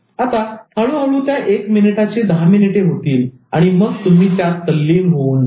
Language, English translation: Marathi, Now slowly that one minute will become 10 minute and then it will absorb you